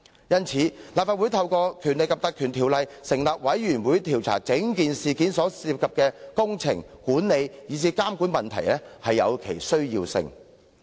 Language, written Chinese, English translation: Cantonese, 因此，立法會透過《條例》成立調查委員會調查事件涉及的工程、管理及監管問題，實在有其必要。, Hence it is necessary for the Legislative Council to set up a select committee under the Ordinance to inquire into the problems involving the management and supervision of the works concerned in this incident